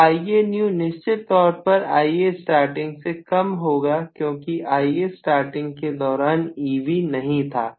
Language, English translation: Hindi, And Ia new will be definitely smaller than Ia starting because Ia starting, E b was not there at all